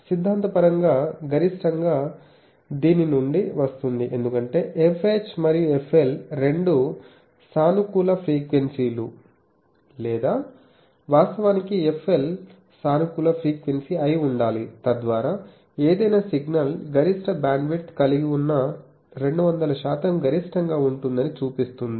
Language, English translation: Telugu, So, theoretically the maximum will come to be from this one, because f H and f L both should be positive frequencies or actually f L should be positive frequency, so that shows that 200 percent is the maximum that an any signal can have maximum bandwidth